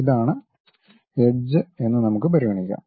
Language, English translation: Malayalam, Let us consider this is the edge